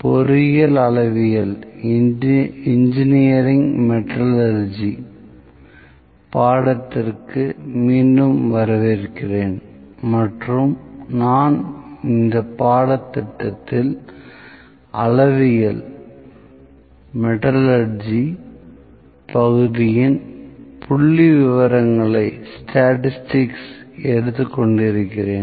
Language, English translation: Tamil, Welcome back to the course Engineering Metrology and I am taking statistics in metrology part in this course